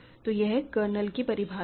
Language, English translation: Hindi, So, this is the definition of the kernel